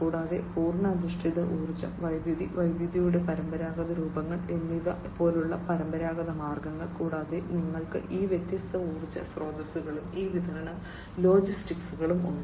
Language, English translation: Malayalam, And traditional means like you know whole based energy, you know electricity, and you know traditional forms of electricity and so on, plus you have all these different energy sources plus these supply and logistics